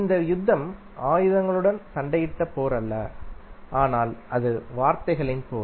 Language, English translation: Tamil, So this war war is not a war we fought with the weapons, but it was eventually a war of words